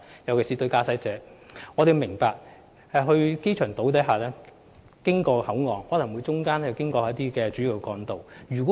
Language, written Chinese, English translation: Cantonese, 我們明白，駕駛者在前往機場島或口岸途中會經過主要幹道。, We understand that drivers may use major roads when going to the airport island or the Hong Kong Port